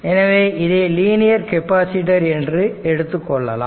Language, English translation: Tamil, So, it is a linear capacitor